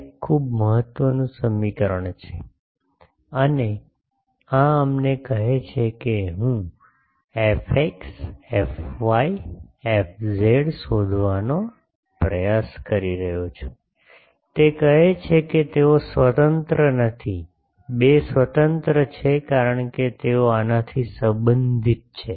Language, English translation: Gujarati, This is a very important equation and this tells us that, I am trying to find f x f y f z, it says that they are not independent, 2 are independent, because they are related by this